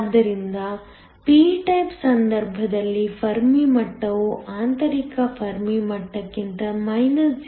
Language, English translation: Kannada, So, in the case of a p type the Fermi level is located 0